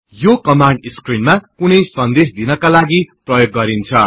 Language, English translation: Nepali, This command is used to display some message on the screen